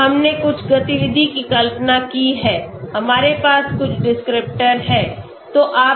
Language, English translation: Hindi, So we have imagined some activity, we have some descriptors okay